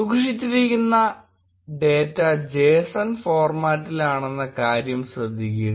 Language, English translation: Malayalam, Notice that the data stored is in JSON format